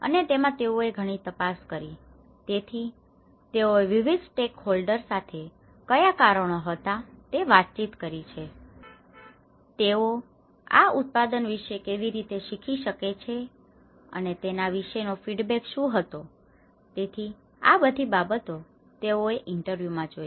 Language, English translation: Gujarati, And they have done a lot of survey in that so, they have interacted with a variety of stakeholders they learnt what are the reasons, how they could learn about this product, how what is the feedback about it so; this is a variety of aspects they look at interview